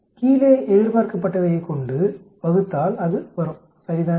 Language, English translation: Tamil, Divided by expected in the bottom it will come right